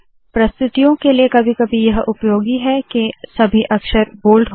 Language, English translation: Hindi, For presentations sometimes it is useful to make all the lettering bold